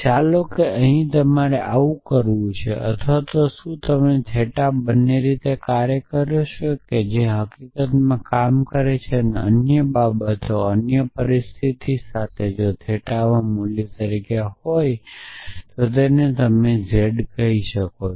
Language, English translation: Gujarati, So, let so whether you do this here or whether you do this theta both ways it works in fact the others other situation is if var as the value in theta while you let us call it z in theta